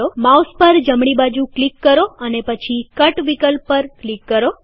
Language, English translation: Gujarati, Right click on the mouse and then click on the Cut option